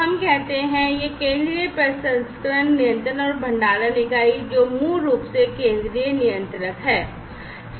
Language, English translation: Hindi, So, let us say that this is the central processing controlling and storage unit, which is basically the central controller